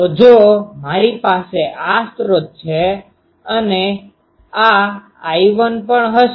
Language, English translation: Gujarati, So, if I have this source, this one, this one also will be I 1